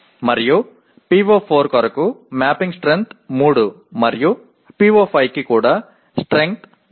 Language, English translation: Telugu, And for PO4 the mapping strength is 3 and for PO5 also it is strength is 3